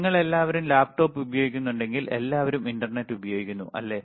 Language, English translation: Malayalam, So, if you have all of you use laptop, all of you use internet